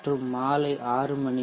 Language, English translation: Tamil, the night then 6 a